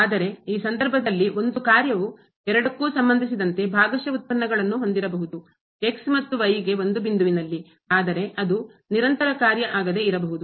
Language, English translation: Kannada, But in this case a function can have partial derivatives with respect to both and at a point without being continuous there